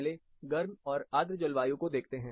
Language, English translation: Hindi, First, let us look at warm and humid climate